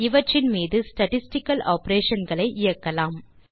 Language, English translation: Tamil, Lets start applying statistical operations on these